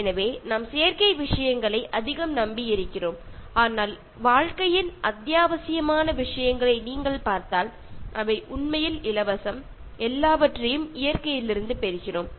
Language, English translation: Tamil, So, we depend so much on artificial things, but if you look at the essential things in life, they are actually free, and we get everything from nature